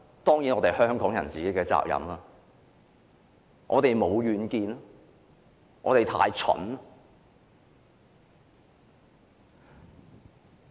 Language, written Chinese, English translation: Cantonese, 當然是香港人的責任，因為我們沒有遠見，我們太蠢。, Certainly Hong Kong people should be held responsible because we are lack of vision and too stupid